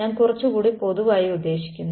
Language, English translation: Malayalam, I mean a little bit more generally